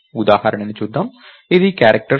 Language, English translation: Telugu, So, lets see this example, character c